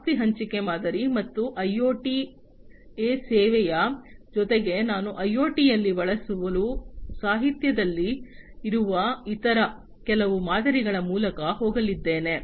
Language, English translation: Kannada, Asset sharing model, and IoT as a service plus I am also going to go through some of the other types of models that are there in the literature for use in IoT